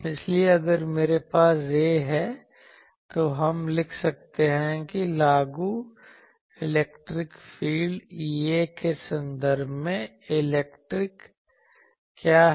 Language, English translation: Hindi, So, if I have this, then we can write that what is the electric in terms of the applied electric field E A